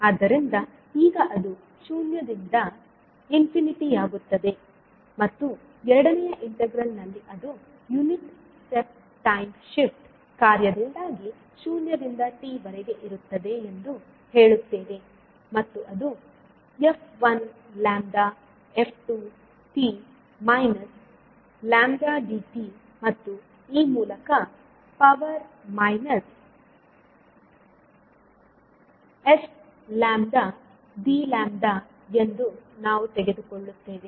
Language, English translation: Kannada, First we interchange the order of integration so now it will become zero to infinity and in the second integral we will say that it is ranging between zero to t because of the unit step time shift function and we will say that it is f1 lambda into by f2 t minus lambda dt and e to the power minus s lambda d lambda we will take out for the second integral